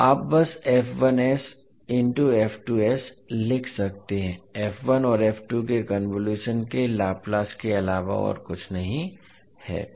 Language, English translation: Hindi, So you can simply write f1s into f2s is nothing but Laplace of the convolution of f1 and f2